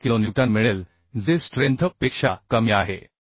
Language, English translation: Marathi, 8 kilonewton which is less than the strength of the bolt that is 45